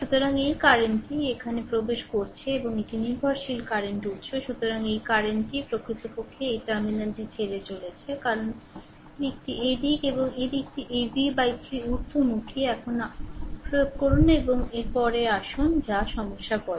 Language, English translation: Bengali, So, this current is entering here and this is dependent current source, this current actually leaving this terminal because direction is this way and this direction is upward this v by 3; now you apply and next come to the your what you call the problem